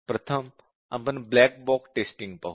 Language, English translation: Marathi, First, let us look at the black box approach